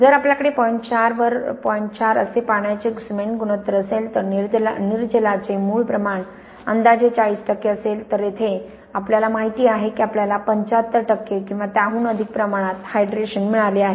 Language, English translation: Marathi, So, if we had a water cement ratio of say point four at point four the original volume of anhydrous is roughly forty per cent so here, we know we have got a degree of hydration of seventy five per cent or so